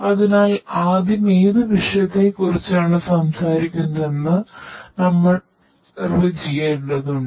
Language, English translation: Malayalam, So, you need to first define which subject we are talking about